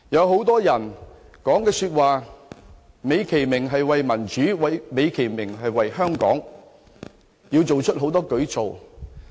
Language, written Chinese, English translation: Cantonese, 很多人所說的話美其名是為了民主，為了香港，要推行很多舉措。, Many called it a fight for to make it sound justified the cause of democracy and for the well - being of Hong Kong which necessitate various initiatives